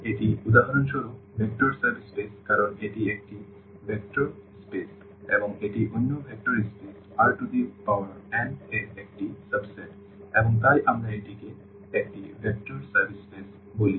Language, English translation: Bengali, So, this is for instance vector subspaces because this is a vector space and this is a subset of another vector space R n and therefore, we call this as a vector subspace